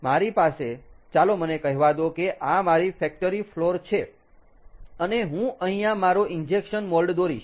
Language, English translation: Gujarati, now what happens is that i have, let me say, this is my factory, factory floor, and i would draw, here is my injection mold